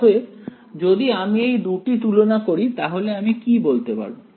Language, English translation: Bengali, So, if I just compare these guys what can I say